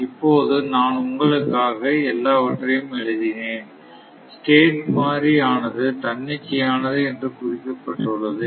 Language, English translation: Tamil, Now, I have written everything all this things for you, but let me write down all another thing is that the state variable is marked it is arbitrary